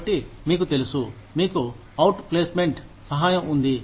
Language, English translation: Telugu, So, you know, you have outplacement assistance